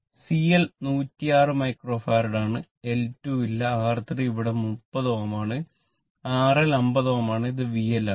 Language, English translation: Malayalam, CL isyour 106 micro farad, L2 is not there, and R3 is there 30 ohm, R L is 50 ohm right and this is V L